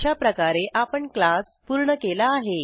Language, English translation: Marathi, This is how we close the class